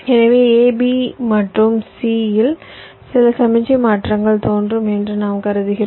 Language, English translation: Tamil, we assume that there are some signal transitions appearing at a, b and c